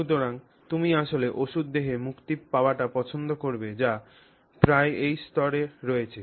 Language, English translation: Bengali, So, you would actually prefer to have medicine being released in the body which is almost at this level